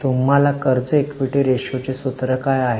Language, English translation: Marathi, What is the formula of debt equity ratio